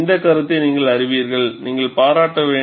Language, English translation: Tamil, You know, this concept, you will have to appreciate